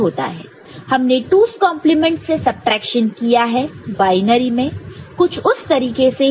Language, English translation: Hindi, So, we have done subtraction by 2’s complement in binary it is somewhat similar